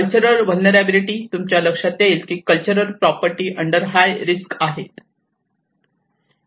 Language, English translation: Marathi, The cultural vulnerability: and you can see that you know much of the cultural properties are under the high risk